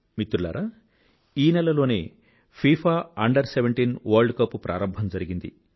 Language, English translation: Telugu, Friends, the FIFA Under17 World Cup was organized this month